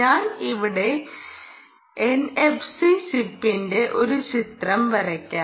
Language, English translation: Malayalam, i will just draw a picture of ah n f c chip here